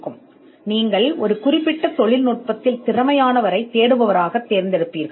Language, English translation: Tamil, Now you would normally select a searcher who is competent in a particular technology